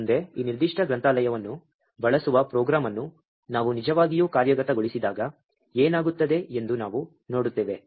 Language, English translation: Kannada, Next, we see what happens when we actually execute a program that uses this particular library